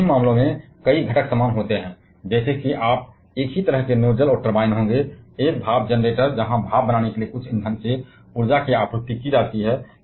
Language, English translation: Hindi, In both the cases several components are same, like you will be having the same kind of nozzles and turbines, a steam generator where energy is supplied from some fuel to produce steam